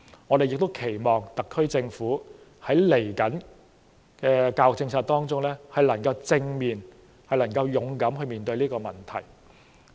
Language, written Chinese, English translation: Cantonese, 我們更期望特區政府在接下來的教育政策改革上，能夠正面和勇敢地面對這個問題。, We hope that the SAR Government can face this problem squarely and have courage to deal with it in its upcoming education policy reform